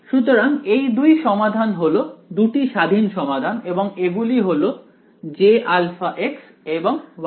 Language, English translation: Bengali, So, these the two solutions are the two independent solutions are this J alpha x and Y alpha x